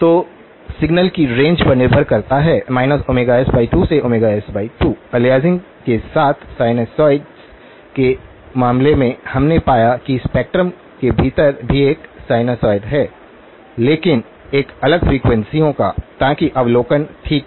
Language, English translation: Hindi, So, depends on the signal in the range minus omega s by 2 to omega s by 2, in the case of sinusoids with the aliasing, we found that what lies within the spectrum is also a sinusoid but of a different frequencies, so that was the observation okay